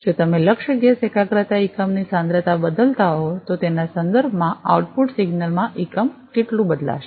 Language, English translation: Gujarati, If you are changing the target gas concentration unit concentration change, how much is the unit change in the output signal, with respect to it